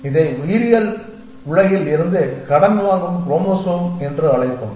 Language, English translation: Tamil, We would call this as a chromosome borrowing from the biological world